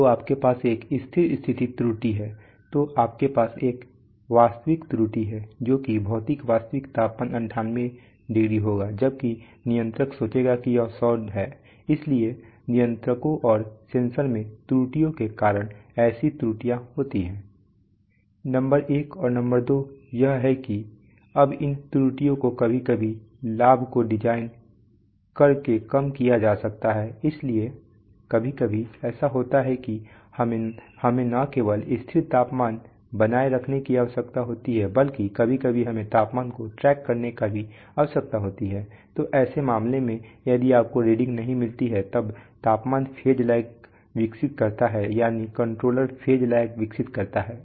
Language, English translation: Hindi, So you have a steady state error right, so you have a real error that is that physical real temperature will be 98 while the controller will think that is 100, so such errors occur due to, due to controllers and due to errors in sensors, number one and number two is that now this errors can sometimes be reduced by, you know, designing the gains, so it sometimes happens that we need to not only maintain fixed temperature, sometimes we need to track temperatures, so in such a case if you do not get the readings as they are existing, then what happens is that the temperature develops what is called a phase lag that is the controller develops a phase lag